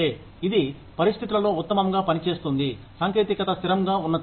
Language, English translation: Telugu, It works best in situations, where technology is stable